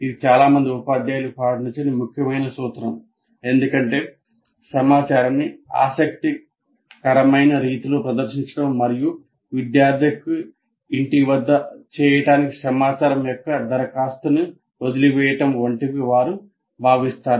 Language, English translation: Telugu, This is a major principle normally not followed by majority of the teachers because you feel that presenting information in an interesting way or do that and leave that application of information to the student to do it at home and that is the one that doesn't work satisfactorily